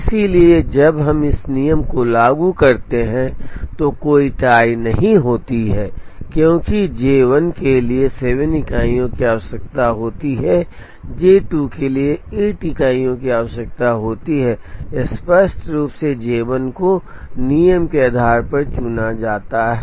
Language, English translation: Hindi, So, when we apply this rule there is no tie because J 1 requires 7 units, J 2 requires eight units clearly J 1 is chosen based on the rule